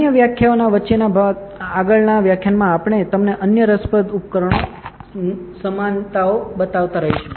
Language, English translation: Gujarati, In further lectures in between other lectures we will keep showing you other interesting device simulations